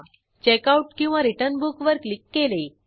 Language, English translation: Marathi, Click on Checkout/Return Book